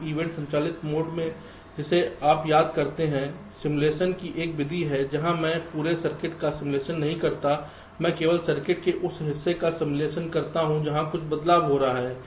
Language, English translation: Hindi, we event driven mode, ah, you recall, is a method of simulation where i do not simulate the whole of the circuits, i simulate only that part of the circuits where some changes are taking place, so unnecessary, i will not simulate the whole thing